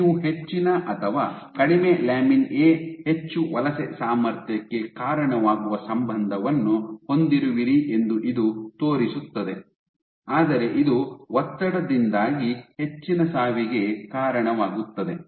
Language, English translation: Kannada, So, this shows that you have a relationship that higher lower lamin A, leads to more migratory potential, but it also leads to more death due to stress